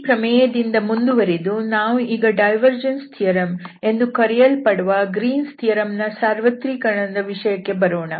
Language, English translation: Kannada, So, now moving further from this result we will come to the point of this generalization of the Greens theorem which is the so called the divergence theorem